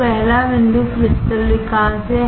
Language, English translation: Hindi, So, the first point is crystal growth